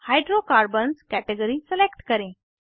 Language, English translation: Hindi, Select Hydrocarbons category